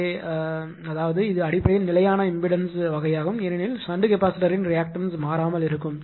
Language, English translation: Tamil, So, those are so that means, it is a basically constant and impedance type because reactance of the shunt capacitor will remain constant, right